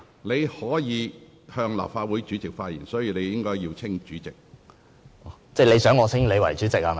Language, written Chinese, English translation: Cantonese, 你須向立法會主席發言，所以你應稱呼我為主席。, You must address your remarks to the President of the Legislative Council so you should address me as President